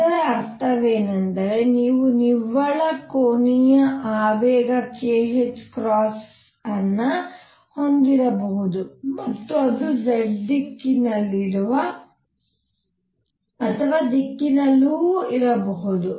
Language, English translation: Kannada, What that means, is that you could have a net angular momentum k h cross and it could be in a direction which is in the z direction